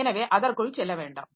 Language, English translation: Tamil, So, we don't go into that